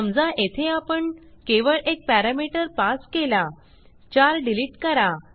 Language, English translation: Marathi, Suppose here we pass only one parameter